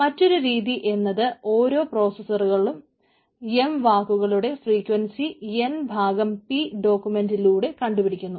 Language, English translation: Malayalam, so other way, let each processor compute the frequency of m words across n by p documents